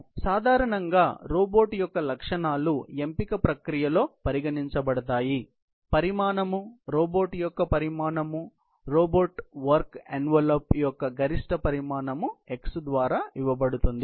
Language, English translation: Telugu, So, the characteristics of a robot generally, considered in a selection process, include the size of class, the size of the robot, is given by the maximum dimension x of the robot work envelope